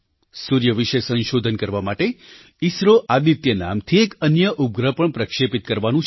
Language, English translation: Gujarati, ISRO is planning to launch a satellite called Aditya, to study the sun